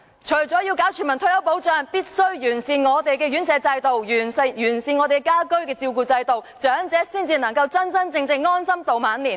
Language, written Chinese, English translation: Cantonese, 除了要推行全民退休保障外，政府必須完善長者院舍制度及家居照顧服務，長者才能真正安享晚年。, Apart from implementing universal retirement protection the Government must improve the institutionalized system for elderly care and home care services for elderly persons to truly enjoy old age